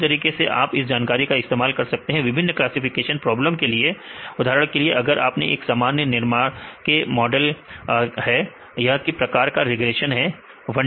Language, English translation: Hindi, Likewise you can use this type of information right in the different classification problems right for example, if you take a simple model of a neuron, this is a kind of regression in 1d